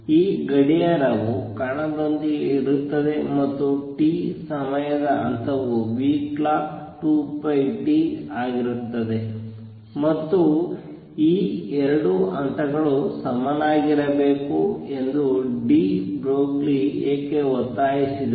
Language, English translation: Kannada, This clock is with the particle and there phase in time t is going to be nu clock times t times 2 pi, and what de Broglie demanded that these to be equal these 2 phases are going to be equal